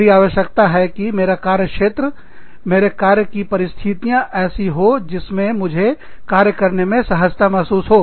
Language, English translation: Hindi, I need my working areas, my working conditions, to be such that, i feel comfortable, in my work